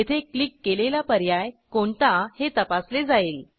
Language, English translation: Marathi, Here, this checks the option that we click on